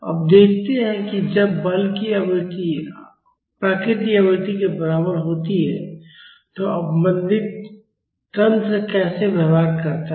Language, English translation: Hindi, Now let us see how the damped system behaves when the forcing frequency is equal to the natural frequency